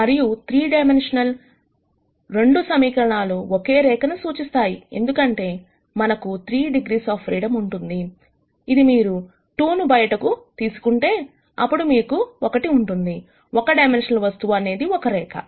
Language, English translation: Telugu, And in 3 dimen sions 2 equations would represent a line, because we have 3 degrees of freedom if you take away 2, then you have one, a one dimensional object is a line